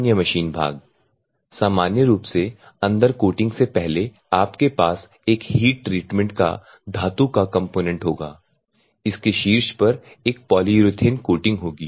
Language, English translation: Hindi, And the other machine parts normally, the bowl before coating inside, you will have a heat treatment metallic component, on top of it you will have a polyurethane coating